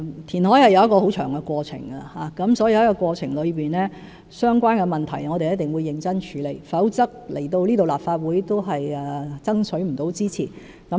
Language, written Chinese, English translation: Cantonese, 填海是一個很漫長的過程，所以，在這過程中，我們一定會認真處理相關的問題，否則來到立法會也無法取得支持。, Reclamation is a long process . Hence in this process we will certainly deal with the relevant issues seriously or else we will fail to obtain the support of the Legislative Council